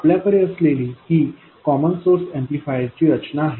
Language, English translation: Marathi, This is the common source amplifier structure we had